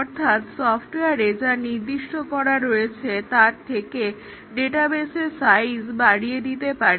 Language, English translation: Bengali, For example, we might give more data volume, the size of the database for a software than what is specified